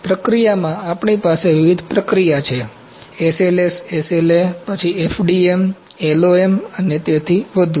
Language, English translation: Gujarati, In processing, we have different processing, SLS, SLA then FDM, LOM and so on